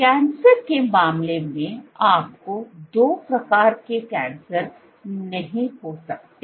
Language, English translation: Hindi, So, in case of cancer, you cannot get two types of cancer